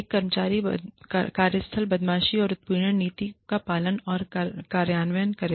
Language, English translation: Hindi, Devise and implement, a workplace bullying and harassment policy